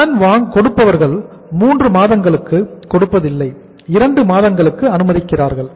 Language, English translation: Tamil, Creditors allow the credit for 2 months, not 3 months but 2 months